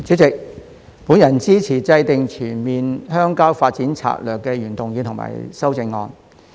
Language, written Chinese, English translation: Cantonese, 主席，我支持"制訂全面鄉郊發展政策"的原議案和修正案。, President I support the original motion Formulating a comprehensive rural development policy and its amendment